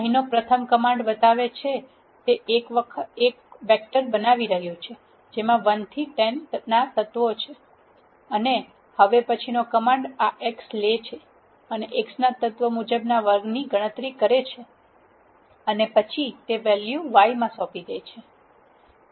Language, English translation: Gujarati, The first command here shows, it is creating a vector which is having the elements from 1 to 10, and the next command here takes this x and calculates the element wise square of the x and then assign it to value y